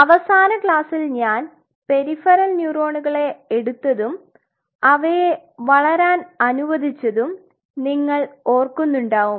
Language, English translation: Malayalam, So, in the last class remember I introduced the peripheral neurons and I allowed them to grow